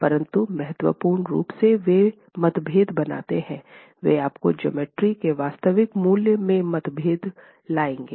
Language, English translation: Hindi, But importantly, they would make differences, they would bring about differences in your actual values in the geometry